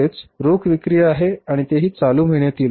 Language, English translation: Marathi, That is the cash sales and that too in the current month